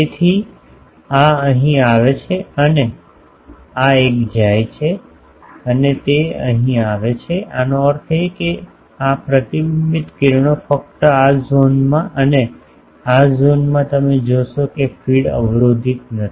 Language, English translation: Gujarati, So, this one comes here and this one goes and that comes here so, that means, the reflected rays only in the this zone and these zone you see the feed is not blocking